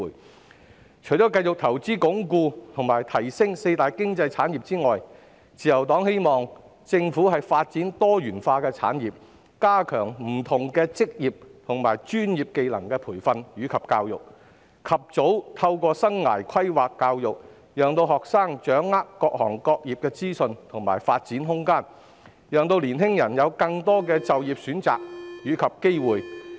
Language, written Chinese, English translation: Cantonese, 自由黨希望政府除繼續投放資源鞏固及提升四大經濟產業外，亦會發展多元化的產業，加強不同職業和專業技能的培訓及教育，及早透過生涯規劃教育，讓學生掌握各行業的資訊及發展空間，讓年輕人有更多就業選擇及機會。, The Liberal Party hopes that apart from continuing to devote resources to consolidating and enhancing the four key economic pillars the Government will also promote the diversification of industries by stepping up training and education related to various occupations and professional skills providing life planning education at an early stage to enable students to understand the information and development of various industries so that young people will have more career choices and employment opportunities